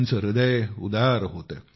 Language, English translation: Marathi, She had a very generous heart